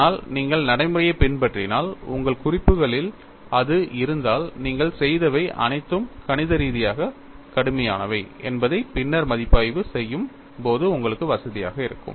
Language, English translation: Tamil, We are not doing anything new, but if you follow the procedure, if you have that in your notes, you will feel comfortable when you review it later, that whatever you have done is mathematically rigorous